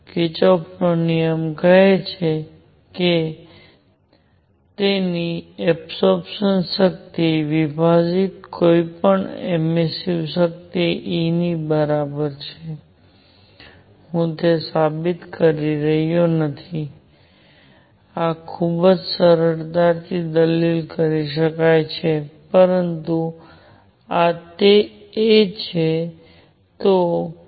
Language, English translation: Gujarati, Kirchhoff’s law that says that emissive power of anybody divided by its absorption power is equal to E, I am not proving it, this can be argued very easily, but this is what it is